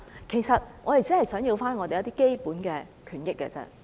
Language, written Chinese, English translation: Cantonese, 其實，我們只不過想爭取基本權益而已。, We are actually striving for our basic rights and interests only just as simple as that